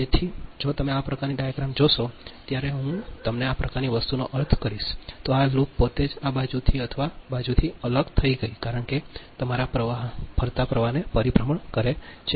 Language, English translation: Gujarati, so if you look this kind of diagram, when you will, i mean this kind of thing this loop itself is isolated from this side or this side because it is a circulated, your circulating current